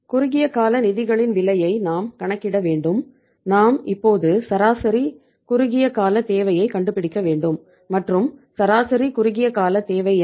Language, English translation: Tamil, Cost of short term funds is we have to calculate we have to find out now the average short term requirement and what is the average short term requirement